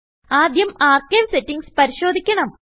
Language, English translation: Malayalam, First we must check the archive settings